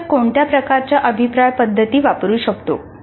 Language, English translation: Marathi, What are some of the feedback strategies a teacher can make use of